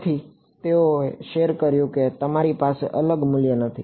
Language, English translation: Gujarati, So, they shared they do not have a separate value